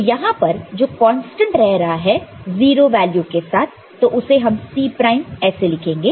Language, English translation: Hindi, So, very well remaining constant here with say 0 C prime